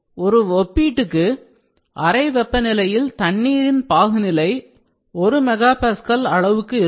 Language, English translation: Tamil, So, in the sense viscosity of water at room temperature is 1 mega Pascal